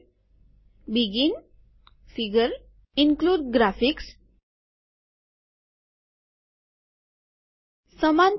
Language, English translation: Gujarati, Begin, figure, include graphics, width equals